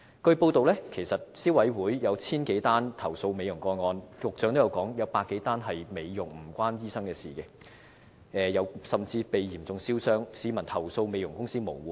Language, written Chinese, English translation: Cantonese, 據報道，消委會接獲1000多宗有關美容的投訴，局長說有100多宗涉及美容個案，與醫生無關，有些個案的受害人甚至被嚴重燒傷，市民投訴美容公司無門。, It has been reported that the Consumer Council received 1 000 - odd complaints related to cosmetic procedures . The Secretary said there were 100 - odd cases involving cosmetic procedures but not related to doctors . Some of the victims in these cases were severely burnt and they did not have a channel to complain against the beauty parlours